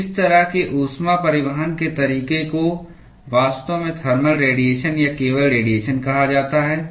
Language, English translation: Hindi, So, such kind of mode of heat transport is actually called as thermal radiation or simply radiation